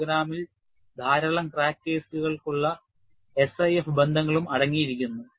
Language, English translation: Malayalam, The program contains a SIF relations for a large number of crack cases